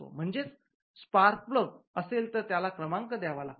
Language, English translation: Marathi, So, the spark plugs the number has to be referred